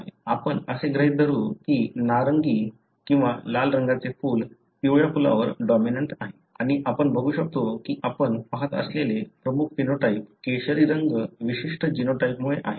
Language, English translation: Marathi, Let us assume that the orange or red colour flower is dominant over the yellow and, we can, pretty much test whether the dominant phenotype that you see, the orange colour is because of a particular genotype